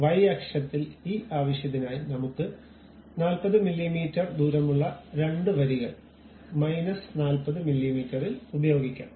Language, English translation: Malayalam, For that purpose in the Y axis we can use two rows with a distance gap of some 40 mm maybe in minus 40 mm